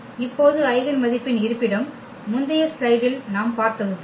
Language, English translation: Tamil, The location of the eigenvalues now what we have just seen in previous slide